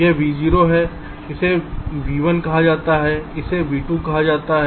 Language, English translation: Hindi, lets say here is v three, lets say here is v four